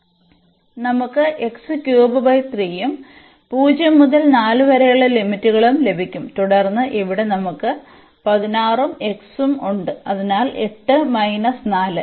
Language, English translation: Malayalam, So, we will get x cube by 3 and the limits 0 to 4 and then here we have the 16 and then x; so, 8 minus 4